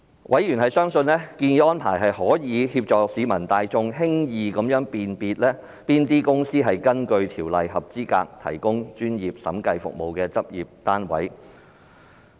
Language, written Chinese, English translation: Cantonese, 委員相信，建議的安排可協助市民大眾輕易識別哪些公司屬根據《條例》合資格提供專業審計服務的執業單位。, Members are convinced that the suggested arrangement may help the general public to easily identify certified accountants from non - certified ones and companies which are practice units qualified to provide professional auditing service under the Ordinance